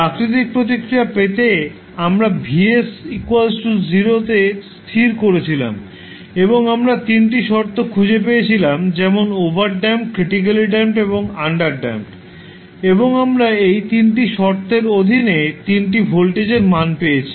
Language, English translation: Bengali, To get the natural response we set Vs equal to 0 and we found the 3 conditions like overdamped, critically damped and underdamped situation and we got the 3 voltage value under this 3 condition